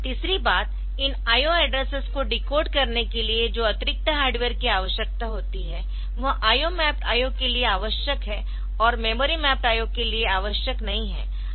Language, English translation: Hindi, Thirdly the extra hardware that is needed for decoding this I O addresses that is required for I O mapped I O and not required for the memory mapped I O